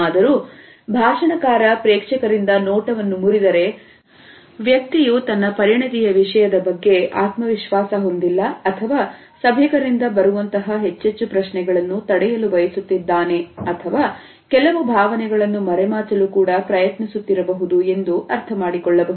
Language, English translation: Kannada, However, if the speaker looks away from the audience, it suggests that either the person does not have confidence in the content or wants to avoid further questioning or at the same time may try to hide certain feeling